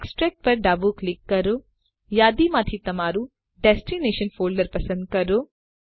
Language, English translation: Gujarati, Left click on EXTRACT Choose your destination folder from the list